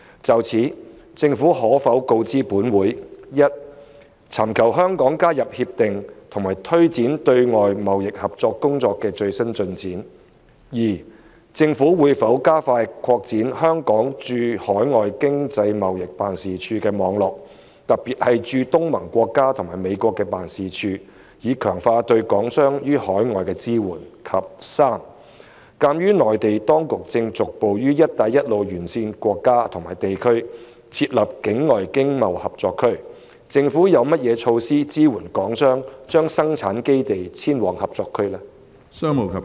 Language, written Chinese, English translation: Cantonese, 就此，政府可否告知本會：一尋求香港加入《協定》及推展對外經貿合作工作的最新進展；二政府會否加快擴展香港駐海外經濟貿易辦事處的網絡，特別是駐東盟國家和美國的辦事處，以強化對港商於海外的支援；及三鑒於內地當局正逐步於"一帶一路"沿線國家/地區設立境外經貿合作區，政府有何措施支援港商把生產基地遷往合作區？, In this connection will the Government inform this Council 1 of the latest progress of the work on seeking Hong Kongs accession to RCEP and promoting external economic and trade cooperation; 2 whether the Government will expedite the expansion of the network of the overseas Hong Kong Economic and Trade Offices particularly those in ASEAN countries and the United States so as to strengthen the support for Hong Kong businessmen in overseas countries; and 3 as the Mainland authorities are progressively setting up overseas Economic and Trade Co - operation Zones ETCZs in the Belt and Road countriesregions of the measures put in place by the Government to support Hong Kong businessmen in relocating their production bases to ETCZs?